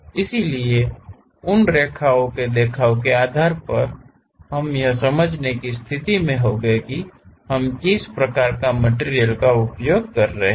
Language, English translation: Hindi, So, based on those line representation we will be in a position to understand what type of material we are using